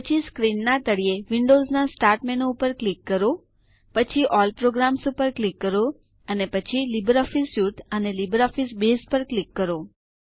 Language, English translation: Gujarati, Then, click on the Windows Start menu at the bottom left of the screen, then click on All Programs, then LibreOffice Suite,and LibreOffice Base